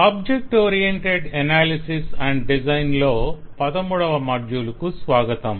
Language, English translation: Telugu, welcome to module 16 of object oriented analysis and design